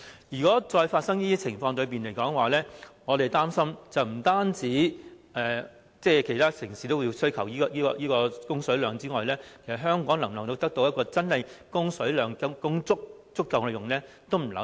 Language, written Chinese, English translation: Cantonese, 如果再發生這種情況，我們擔心不單其他城市也需求一定的供水量外，其實香港是否真的能夠得到足夠的供水量呢？, If Hong Kong comes across another serious drought we doubt whether Hong Kong will really obtain sufficient water supply when other cities also need certain level of water supply